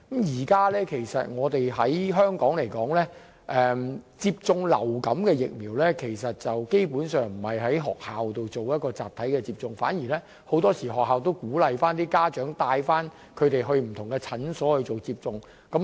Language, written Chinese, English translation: Cantonese, 現時香港學童接種流感疫苗，不是在學校集體接種。很多時候，學校會鼓勵家長帶小朋友到診所接種。, At present Hong Kong students are not vaccinated en masse in schools which will usually encourage parents to take their children to clinics for vaccination